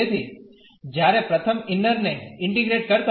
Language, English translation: Gujarati, So, while integrating the inner one first